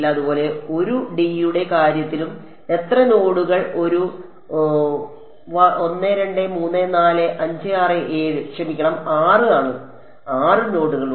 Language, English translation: Malayalam, So, similarly in the case of 1 D and how many nodes are a 1 2 3 4 5 6 7 sorry 6; 6 nodes are there